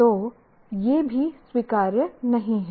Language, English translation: Hindi, So, that is not acceptable at all